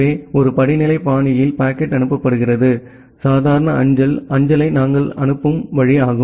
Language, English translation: Tamil, So, that way in a hierarchical fashion the packet is being forwarded, the way we forward the normal postal mail